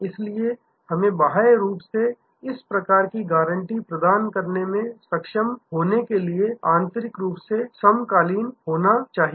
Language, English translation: Hindi, So, we have to be internally synchronized to be able to externally provide this kind of guarantee